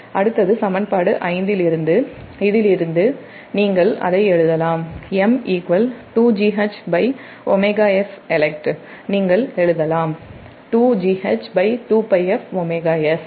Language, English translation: Tamil, next is that from equation five, from this one, so you can write